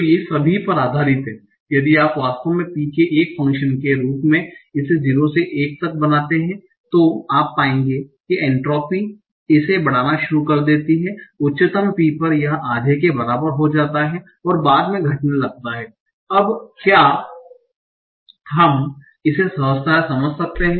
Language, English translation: Hindi, If you actually go on plotting this as a function of p from 0 to 1, you will find that the entropy starts increasing, it becomes the highest at p is equal to half and it starts decreasing afterwards